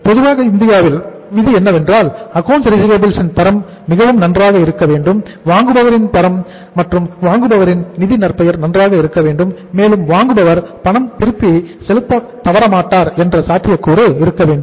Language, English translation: Tamil, Normally the rule in India is if the bank finds the quality of the receivables is good, the buyers quality, buyers financial reputation is good and there is no possibility of the default from the buyer’s side after the end of the credit period